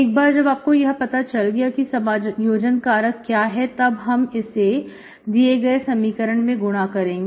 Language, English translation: Hindi, Once you know the integrating factor, you multiply this integrating factor to the equation